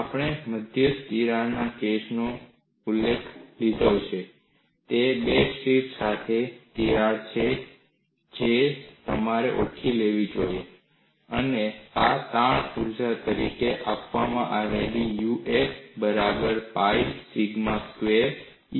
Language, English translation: Gujarati, We have taken the solution for the case of a central crack; it is crack with two tips you should recognize, and this is given as strain energy U a equal to pi sigma squared a squared by E